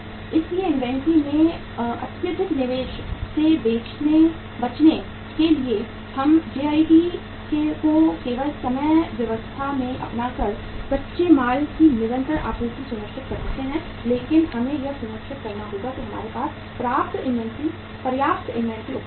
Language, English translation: Hindi, So to avoid the excessive investment into the inventory what we do is we ensure a continuous supply of raw material maybe by adopting the JIT just in time arrangement but we will have to make sure that yes sufficient inventory is available with us